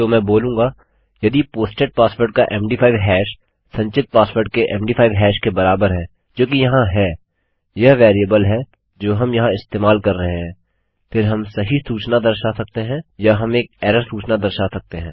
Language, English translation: Hindi, So Ill say if the MD5 hash of a posted password is equal to the MD5 hash of the stored password, which is here, this is the variable were using here, then we can display the correct message or we can display an error message